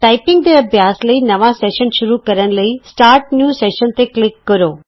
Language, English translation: Punjabi, Click Start New Session to start a new session to practice typing